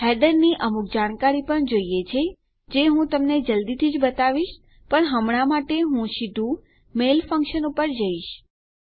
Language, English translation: Gujarati, We also need some header information which Ill show you soon but Ill head straight to the mail function